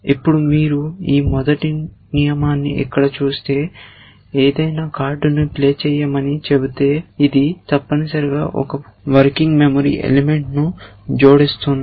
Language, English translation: Telugu, Now, if you look at this first rule here, which says play any card, it is adding one working memory element essentially